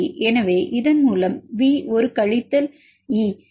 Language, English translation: Tamil, So, with this a V minus E this is equal to 3